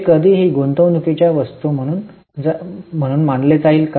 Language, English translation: Marathi, Will it go as investing item any time